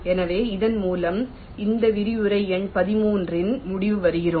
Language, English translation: Tamil, so with this we come to the end of a, this lecture number thirteen